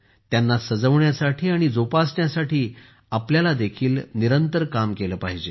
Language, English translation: Marathi, We should also work continuously to adorn and preserve them